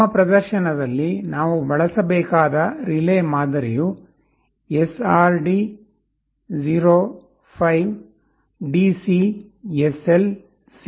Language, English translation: Kannada, The type of relay that we shall be using in our demonstration is SRD 05DC SL C